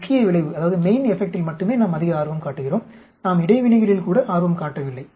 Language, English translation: Tamil, We are more interested in only main effect we are not even interested in interactions